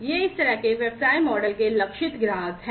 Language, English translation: Hindi, These are target customers of this kind of business model